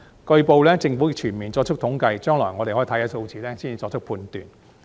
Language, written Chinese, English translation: Cantonese, 據報，政府正全面作出統計，將來我們可以先看數字，才作出判斷。, As reported the Government is now compiling comprehensive statistics . We may look at the figures in the future before passing a judgment